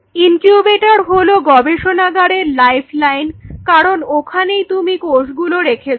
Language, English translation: Bengali, Incubator is your life line in a lab because that is where all your cells are